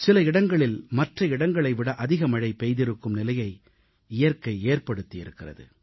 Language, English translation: Tamil, It's a vagary of Nature that some places have received higher rainfall compared to other places